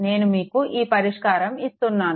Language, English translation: Telugu, I am giving you this thing